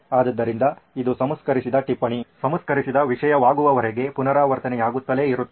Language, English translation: Kannada, So this gets keeps on getting iterated until it becomes a refined note, refined content